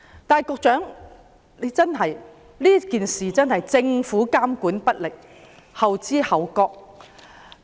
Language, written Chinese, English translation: Cantonese, 但是，政府在這件事上真的監管不力，後知後覺。, However the Government is really slack in supervision and slow in its response in this matter